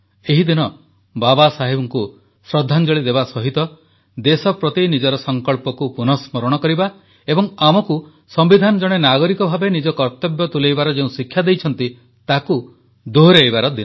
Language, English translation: Odia, Besides paying our homage to Baba Saheb, this day is also an occasion to reaffirm our resolve to the country and abiding by the duties, assigned to us by the Constitution as an individual